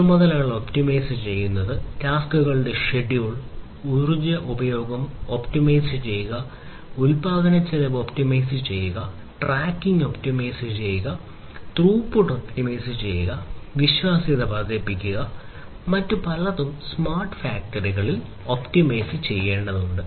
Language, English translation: Malayalam, Optimization optimizing the tasks, scheduling of the tasks, optimizing the usage of energy, optimizing the cost of production, optimizing tracking, optimizing throughput, optimizing reliability, and many others many so, many different other things will have to be optimized in a smart factory